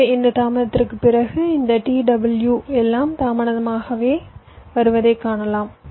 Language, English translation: Tamil, so after this delay you can see that this t w, everything as getting delayed